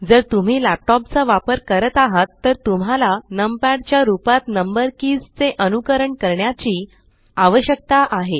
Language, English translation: Marathi, If you are using a laptop, you need to emulate your number keys as numpad